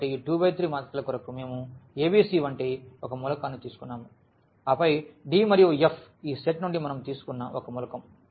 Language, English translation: Telugu, So, for 2 by 3 matrices so, we have taken one element like a b c and then the d e and f this is the one element we have taken from this set